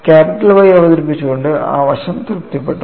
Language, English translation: Malayalam, So that aspect was also satisfied by introducing capital Y that was the success